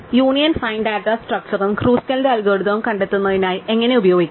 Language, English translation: Malayalam, So, how do we use this union find data structure and Kruskal's algorithm